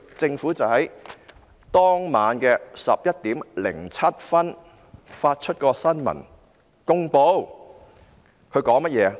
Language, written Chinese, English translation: Cantonese, 政府當晚11時07分發出新聞公報，它說甚麼呢？, The Government issued a press release at 11col07 pm . What did it say?